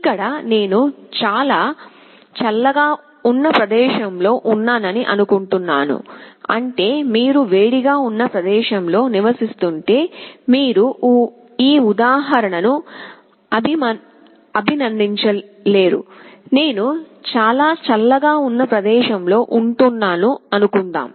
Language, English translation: Telugu, Here I am assuming that I am in a place which is quite cold, it means if you are residing in a place which is hot you cannot appreciate this example, suppose I am staying in a place which is very cold